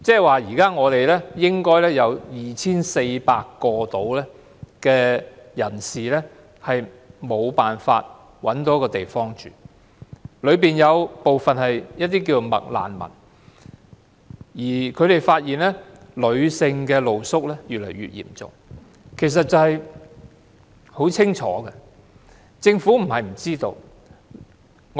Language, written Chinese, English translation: Cantonese, 換言之，現時應該約有 2,400 名人士無法找到居所，當中有部分是"麥難民"，而他們發現女性露宿者問題越來越嚴重，情況相當清楚，政府不是不知道的。, In other word there are about 2 400 people who cannot find a place to live at present and some of them are McRefugees . It is also discovered that the problem of female street sleepers is getting more and more serious and the situation is so clear that the Government is well aware of the problem